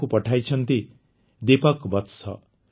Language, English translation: Odia, It has been sent by Deepak Vats ji